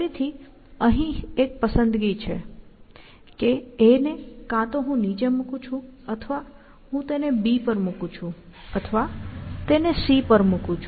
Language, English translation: Gujarati, The choice is really, that either, I put a down, or I put it on b, or put it on c, or put it on d, essentially